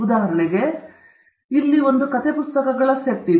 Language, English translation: Kannada, For example, here are a set of story books